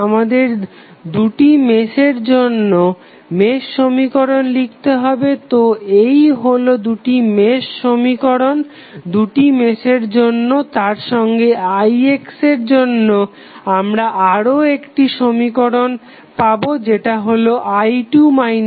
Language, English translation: Bengali, We have to write the mesh equations for both of them so these would be the two mesh equations for these two meshes plus we will have another constraint for i x that is nothing but i 2 minus i 1